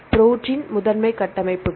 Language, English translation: Tamil, Protein primary structures